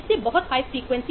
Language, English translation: Hindi, this will have a much higher frequency